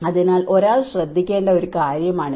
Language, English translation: Malayalam, So, this is one thing one has to look at